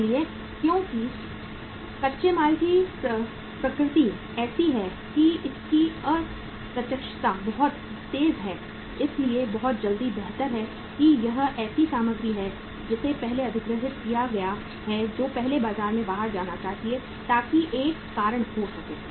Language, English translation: Hindi, So because the raw material’s nature is like that that its obsolescence is very fast, is very quick so better it is the material which has been acquired first that should go out first in the market so that could be the one reason